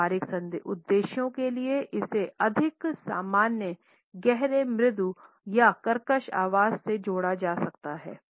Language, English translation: Hindi, For practical purposes it could be associated with more normal deep soft or whispery voice